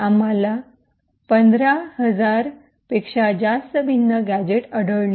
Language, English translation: Marathi, We find over 15000 different gadgets